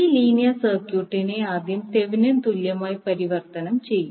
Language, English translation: Malayalam, So this linear circuit will first convert into Thevenin equivalent